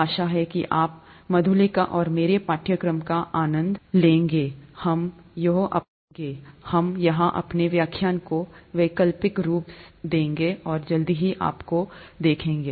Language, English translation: Hindi, Hope you enjoy the course, with Madhulika and I, we will alternate our lectures here, and see you soon